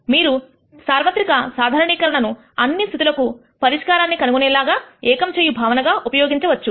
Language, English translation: Telugu, You can use generalized inverse as one unifying concept to nd a solution to all these cases